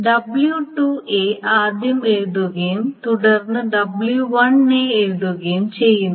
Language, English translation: Malayalam, This W2A is first written and then W1A is written